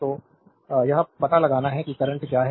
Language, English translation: Hindi, So, you have to find out that what is the current